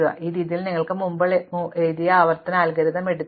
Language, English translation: Malayalam, And in this way you can actually take the recursive algorithm that we wrote before and convert it into an iterative algorithm